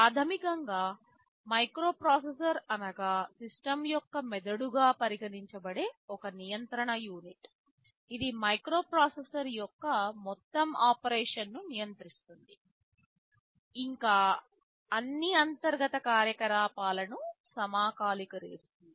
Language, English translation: Telugu, And of course, there is a control unit which can be considered as the brain of the system, which controls the entire operation of the microprocessor, it synchronizes all internal operations